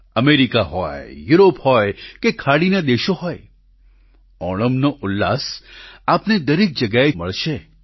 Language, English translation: Gujarati, Be it America, Europe or Gulf countries, the verve of Onam can be felt everywhere